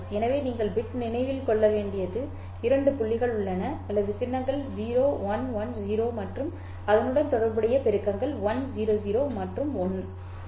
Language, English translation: Tamil, So there is a couple of points that you have to remember the bit or the symbols are 0 1, 1, 1, 0 and the corresponding amplitudes are 1, 0 and 1